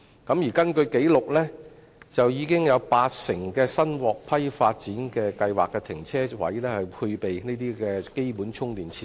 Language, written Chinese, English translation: Cantonese, 根據紀錄，已經有八成新獲批發展計劃的停車位配備基本充電設施。, According to records 80 % of parking spaces in newly approved development plans are installed with charging facilities